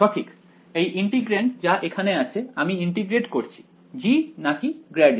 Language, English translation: Bengali, Right this integrand over here am I integrating g or grad g